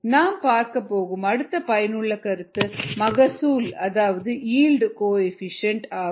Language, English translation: Tamil, the next concept that we are going to look at useful concept is called the yield coefficient